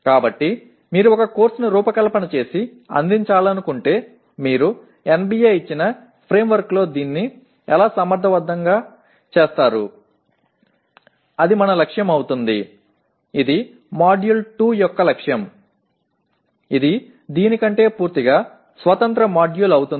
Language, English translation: Telugu, So if you want to design and offer a course, how do you do it effectively within the framework given by NBA, that will be our goal for, that is the aim of Module 2 which will be a completely independent module than this